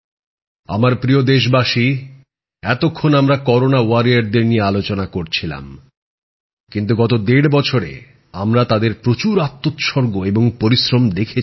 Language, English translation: Bengali, My dear countrymen, while at present we were discussing our 'Corona Warriors' we have been a witness of their dedication and hard work in the last one and a half years